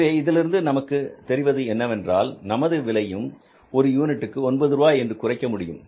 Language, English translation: Tamil, So it means we are also able to bring it down to nine rupees per unit